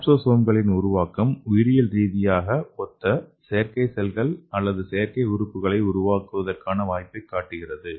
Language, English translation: Tamil, So the development of capsosomes shows that the possibility of fabricating a biologically similar artificial cells or artificial organelles